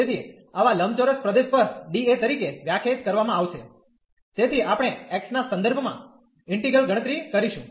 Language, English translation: Gujarati, So, over such a rectangular region d A will be defined as so first we will compute the integral with respect to x